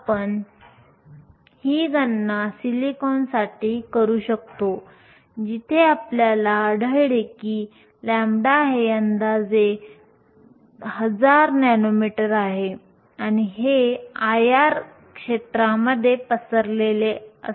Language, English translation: Marathi, We can do this calculation for silicon, where we find that lambda is approximately 1000 nanometers and this lies in the IR region